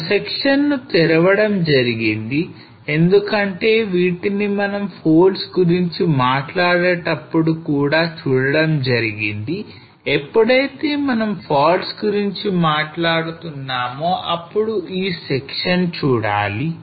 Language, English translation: Telugu, So they opened a section because that is what we were looking at when we were talking about the folds, when we are talking about the faults that we should see the section